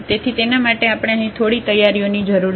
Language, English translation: Gujarati, So, for that we just need some preparations here